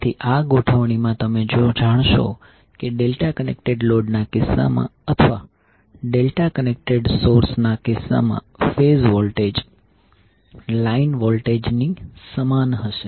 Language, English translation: Gujarati, So here if you this particular arrangement, you will come to know that in case of delta connected load or in case of delta connect source the phase voltage will be equal to line voltage